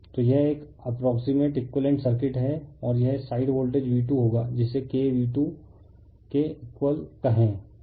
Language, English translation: Hindi, So, this is an approximate equivalent circuit and this side voltage will be V 2 that is equal to say K into V 2, right and this is the supply voltage